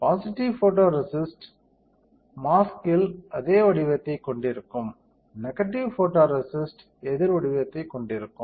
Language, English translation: Tamil, Positive photoresist will have same pattern that is on mask; negative photoresist will have opposite pattern